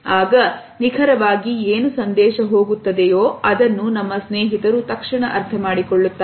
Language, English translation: Kannada, Now, what exactly do we pass on, is immediately understood by our friends